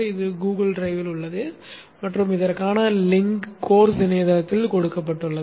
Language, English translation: Tamil, This is located in Google Drive and the link for this is given in the course website